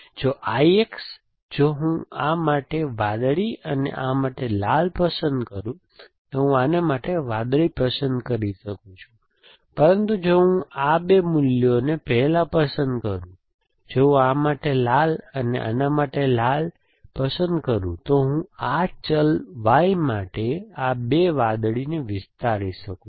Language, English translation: Gujarati, If I X, if I choose blue for this and red for this, I can choose blue for that, but if I choose these two values first, if I choose red for this and red for this then I can extend this two blue for this variable Y